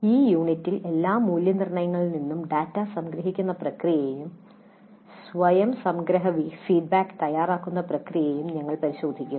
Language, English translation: Malayalam, In this unit we look at the process of summarization of data from all evaluations and the preparation of summary feedback to self